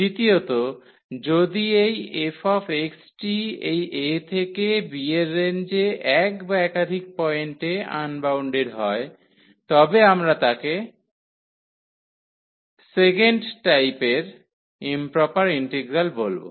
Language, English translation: Bengali, The second, if this f x is unbounded at one or more points in this range a to b then we call improper integral of second kind